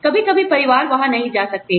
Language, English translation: Hindi, Sometimes, families may not be able to go there